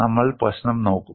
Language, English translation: Malayalam, We will look at the problem here